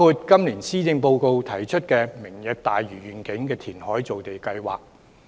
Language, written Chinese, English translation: Cantonese, 今年施政報告提出的"明日大嶼願景"填海造地計劃，可以達到此目的。, The Lantau Tomorrow Vision programme of land formation by reclamation presented in the Policy Address this year can accomplish such a goal